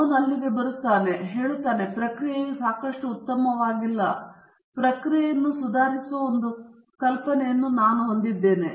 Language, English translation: Kannada, He comes over there and says that this process is not good enough; I have an idea which will improve the process